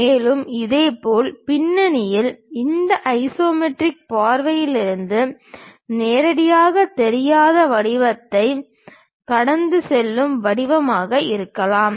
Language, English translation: Tamil, And, similarly at background there might be a shape which is passing through that which is not directly visible from this isometric view